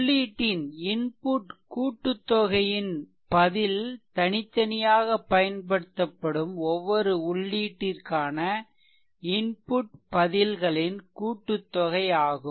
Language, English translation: Tamil, It requires that the response to a sum of the input right is the sum of the responses to each input applied separately